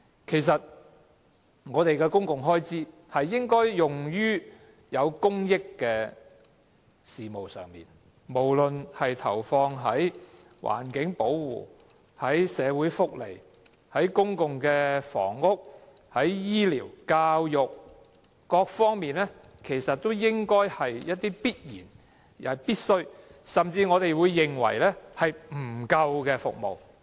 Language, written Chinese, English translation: Cantonese, 其實我們的公共開支應該用於促進公益的事務上，無論是投放在環境保護、社會福利、公共房屋、醫療和教育，都是必然和必需的，甚至應該是用於我們認為不足的服務上。, Our public expenditure should indeed be used on items which promote the public interest . All the funding allocations for environmental protection social welfare public housing health care or education are essential and necessary and the allocations should also be used on services which we find insufficient